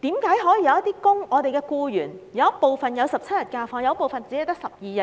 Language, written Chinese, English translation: Cantonese, 為何有部分僱員享有17天假期，有部分卻只有12天？, How come some employees enjoy 17 days of holidays while others only have 12 days?